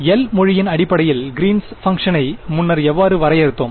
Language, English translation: Tamil, How did we define the greens function earlier in terms of the language of L